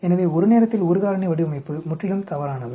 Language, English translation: Tamil, So the one factor at a time design is completely wrong